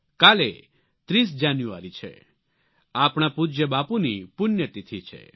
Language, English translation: Gujarati, Tomorrow is 30th January, the death anniversary of our revered Bapu